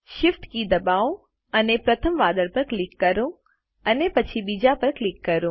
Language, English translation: Gujarati, Press the Shift key and click the first cloud and then click on the second